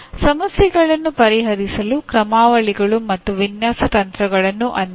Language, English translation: Kannada, Apply the algorithms and design techniques to solve problems